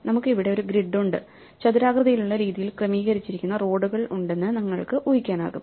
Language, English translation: Malayalam, So, we have a grid here, you can imagine there are roads which are arranged in a rectangular format